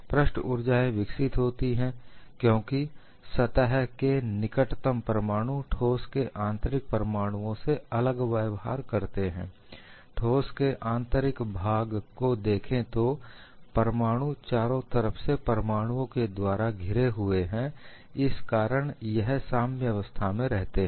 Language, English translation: Hindi, The surface energies develop because atoms close to a surface behave differently from an atom at the interior of the solid; see, in the interior of the solid the atom is surrounded by atoms on all the sides, so it remains in equilibrium